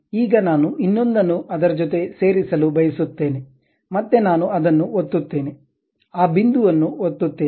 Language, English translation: Kannada, Now, I would like to join that one with other one, again I click that one, click that point